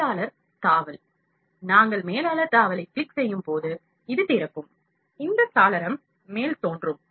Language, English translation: Tamil, Manager tab, when we click the manager tab, this opens; this window pops up